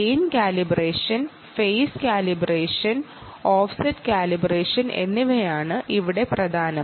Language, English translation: Malayalam, gain calibration, phase calibration and offset calibration are the most important things here